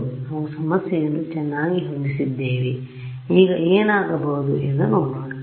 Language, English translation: Kannada, So, we have setup the problem very well now let us look at what will happen